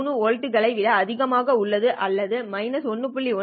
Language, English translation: Tamil, 3 volts or it is less than minus 1